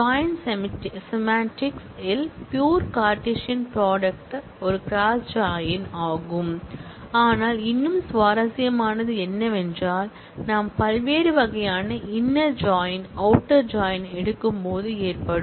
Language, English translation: Tamil, in the context of the join semantics, the pure Cartesian product is a cross join, but what would be more interesting is, when we take different kinds of inner and outer joins